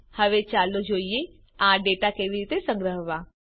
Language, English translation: Gujarati, Let us now see how to store this data